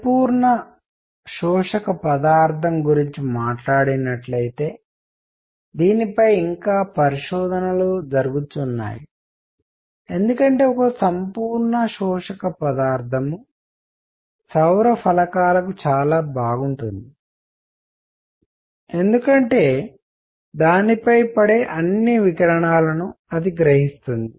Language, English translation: Telugu, By the way just talking on the perfect absorbing material, there is research going on into this because a perfect absorbing material would be very nice for solar panels because it will absorb all the radiation coming on to it